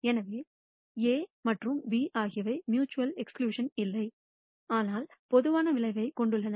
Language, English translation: Tamil, So, A and B are not mutually exclusive, but have a common outcome